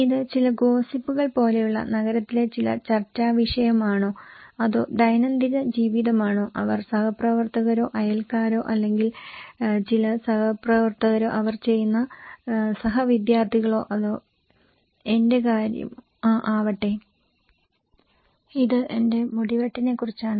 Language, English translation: Malayalam, Is it kind of some hot topic of the town like some gossip or just day to day life they want to share with each other like the colleagues or the neighbours or some co workers, co students they do or is it about my haircut